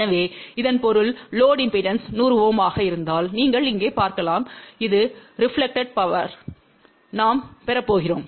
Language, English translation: Tamil, So that means, you can see here if load impedance is 100 Ohm , we are going to have a this much of a reflected power